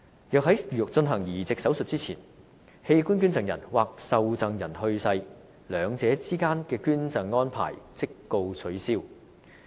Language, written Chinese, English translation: Cantonese, 若在進行移植手術前，器官捐贈人或受贈人去世，兩者之間的捐贈安排即告取消。, The donation arrangement made between an organ donor and a recipient will be called off if one of them passes away before the transplant takes place